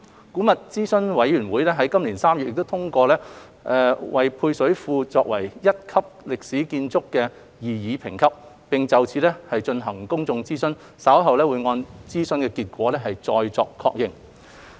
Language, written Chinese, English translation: Cantonese, 古物諮詢委員會於今年3月已通過配水庫為擬議一級歷史建築，並就此進行公眾諮詢，稍後會按諮詢結果再作確認。, In March 2021 the Antiquities Advisory Board AAB endorsed the proposed Grade 1 historic building status of the service reservoir . AAB has conducted public consultation on the proposed grading of the service reservoir and will confirm its grading later having regard to the results